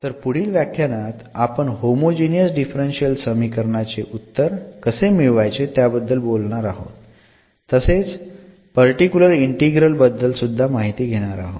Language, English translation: Marathi, So, we will be talking about more here how to get the solution of this homogeneous equation in the next lecture and also about the particular integral